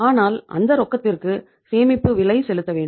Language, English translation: Tamil, So if you are keeping the cash it has a storage cost